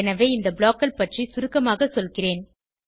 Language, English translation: Tamil, So, I will be just briefing you about these blocks